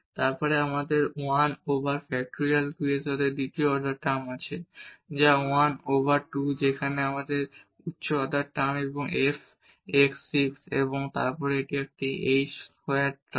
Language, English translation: Bengali, Then we have the second order term with this 1 over factorial 2, which is 1 over 2 there is a higher order term f x 6 and then this a h square term